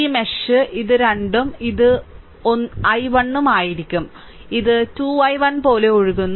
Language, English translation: Malayalam, So, in this mesh, so it will be your 2 and i 1 is flowing like this 2 i 1